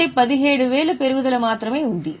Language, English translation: Telugu, That means there is an increase of 5,000